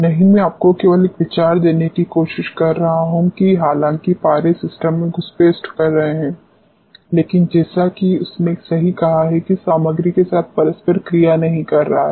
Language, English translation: Hindi, No, I am just trying to give you an idea that though mercury is intruding into the system, but as he rightly said that is not interacting with material at all